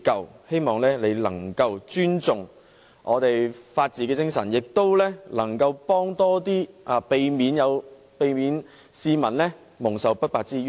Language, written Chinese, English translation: Cantonese, 我希望你能夠尊重本港的法治精神，並提供更多協助，以免市民蒙受不白之冤。, I hope he can respect the spirit of the rule of law in Hong Kong and provide more assistance to prevent members of the public from being unfortunately victimized